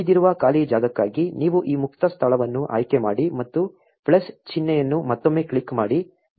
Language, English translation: Kannada, For the remaining free space you choose this free space and click the plus sign again